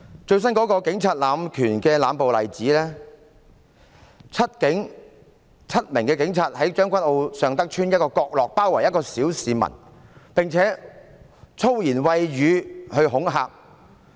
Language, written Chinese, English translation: Cantonese, 最新的警察濫權、濫暴的例子，就是7名警察在將軍澳尚德邨一個角落包圍一名小市民，並且以粗言穢語恐嚇他。, The latest example of abuse of power and force by the Police is seven police officers surrounding an ordinary citizen and threatening him with swear words in a corner in Sheung Tak Estate Tseung Kwan O